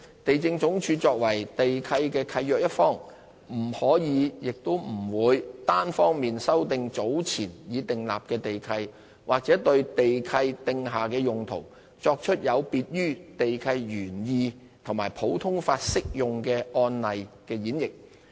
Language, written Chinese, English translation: Cantonese, 地政總署作為地契的契約一方，不可亦不會單方面修訂早前已訂立的地契，或對地契訂下的用途作出有別於地契原意和普通法適用案例的演繹。, LandsD as a party to the lease cannot and will not unilaterally modify the lease that has been entered into or interpret the user in the lease in a way different from the context under which the lease is entered into and the common law cases